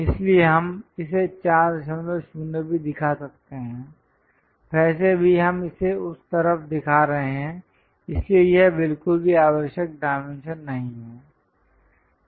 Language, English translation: Hindi, 0, anyway we are showing it on that side so, this is not at all required dimension